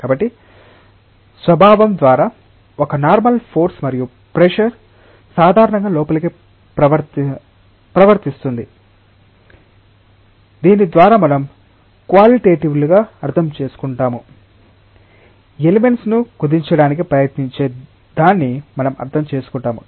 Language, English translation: Telugu, So, a normal force and pressure by nature is acting normally inwards like the term pressure by that we qualitatively understand intuitively understand it something which tries to compress the elements